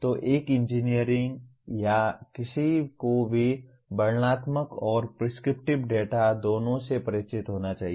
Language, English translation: Hindi, So an engineer or anyone should be familiar with both descriptive and prescriptive data